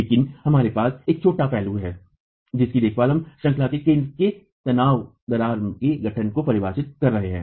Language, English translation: Hindi, But we have one little aspect to be taken care of which is we are defining the formation of the tension crack at the center of the unit